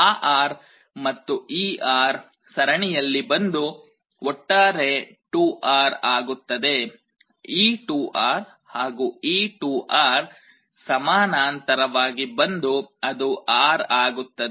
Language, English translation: Kannada, That R and this R again in series will become 2R, this 2R and 2R in parallel will become R